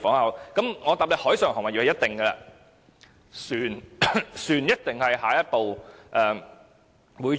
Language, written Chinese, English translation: Cantonese, 我可以回答海上貨運業一定會，船一定是下一步會做的。, I can answer this question . The maritime cargo carriage sector will surely do so and vessels will definitely be the next to enjoy the tax cut